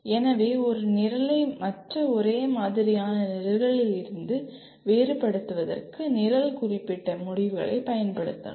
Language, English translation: Tamil, So one can use the Program Specific Outcomes to differentiate a program from other similar programs